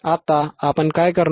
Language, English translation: Marathi, Now, what we will do